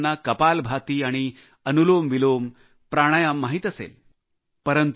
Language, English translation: Marathi, Most people will be familiar with 'Kapalbhati' and 'AnulomVilom Pranayam'